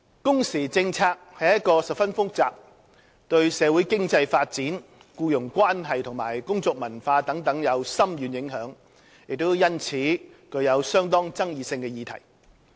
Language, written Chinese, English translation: Cantonese, 工時政策是一個十分複雜，對社會經濟發展、僱傭關係和工作文化等有深遠影響，亦因此具相當爭議性的議題。, Working hours policy is a highly complex and contentious subject which has far - reaching implications for our socio - economic development employment relations work culture and so on